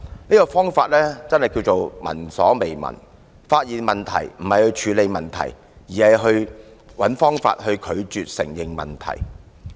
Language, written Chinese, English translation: Cantonese, 這種方法可謂聞所未聞，發現問題不是去處理，而是找方法拒絕承認問題。, Instead of solving the problems they tried hard to refuse admitting the existence of such problems . I have never heard of such a solution